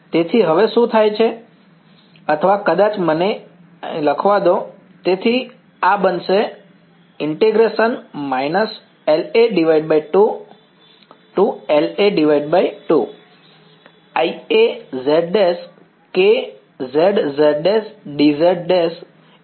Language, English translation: Gujarati, So, what happens now or let me maybe I should write it over here